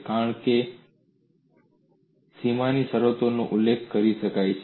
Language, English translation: Gujarati, The reason is the boundary conditions could be specified